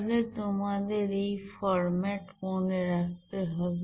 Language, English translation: Bengali, So you have to remember this format